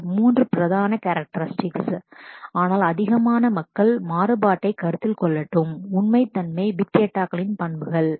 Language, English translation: Tamil, There is a 3 main characteristics, but off let more and more people are also considering variability and veracity are as the characteristics of big data